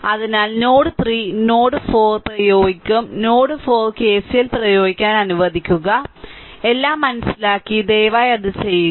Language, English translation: Malayalam, So, at node 3 you will apply let node 4 you apply KCL, I am not writing further I hope you have understood everything and please do it right